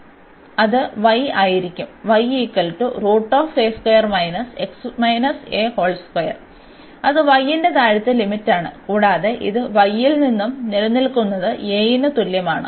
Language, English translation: Malayalam, So, that will be y is a square and minus x minus a whole square that is the lower limit of y, and it exist from y is equal to a